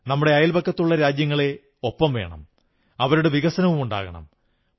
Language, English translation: Malayalam, May our neighbouring countries be with us in our journey, may they develop equally